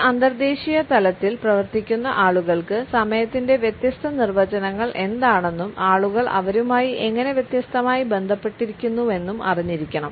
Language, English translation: Malayalam, People who work at an international level must know what are the different definitions of time and how do people relate to it differently